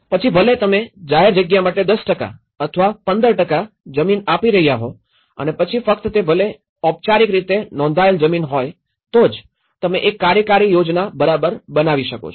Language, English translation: Gujarati, Whether you are giving a 10% or 15% of land for the public place and then only it could be formally registered land, then only, you can make the subdivisions right